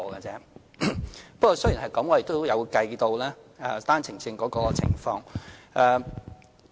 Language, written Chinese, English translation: Cantonese, 儘管如此，我們仍有計算單程證的情況。, Despite that we have included the OWP figures in our calculation